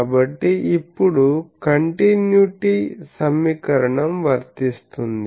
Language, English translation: Telugu, So, now, continuity equation holds